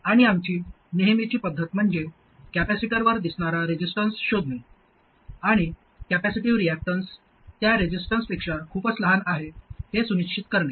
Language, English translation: Marathi, And our usual method is to find the resistance that appears across the capacitor and make sure that the capacity reactants is much smaller than that, much smaller than that resistance